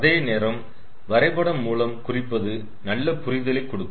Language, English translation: Tamil, but graphical representation gives a good understanding